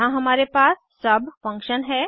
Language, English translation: Hindi, Here we have sub function